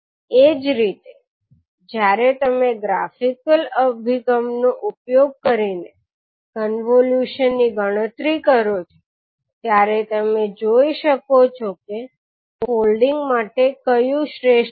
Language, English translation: Gujarati, Similarly when you actually calculate the convolution using the graphical approach you can see which one is the best for the folding